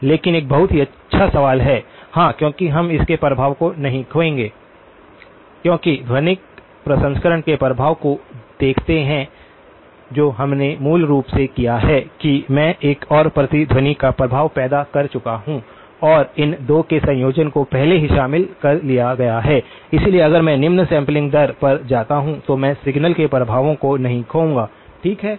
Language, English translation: Hindi, But a very good question yeah because we would we will not lose the effect of it because see the effect of the acoustic processing that we have done basically says that I have created the effect of another echo and the combination of these 2 has already been incorporated, so even if I go down to the lower sampling rate I will not use lose the effect of the signal, okay